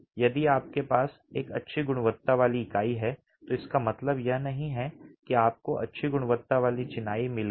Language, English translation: Hindi, If you have good quality unit, it doesn't mean that you've got good quality masonry